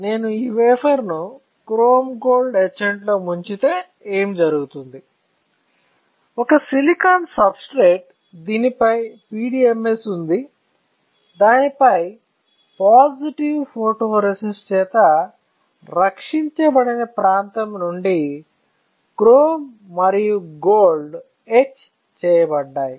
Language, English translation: Telugu, If I dip this wafer in chrome gold etchant what will happen; I will have a substrate, which is my silicon substrate on which there is a PDMS on which my chrome and gold will get etch from the area which was not protected by positive photoresist